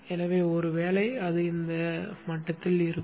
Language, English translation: Tamil, So the probably it will be at this level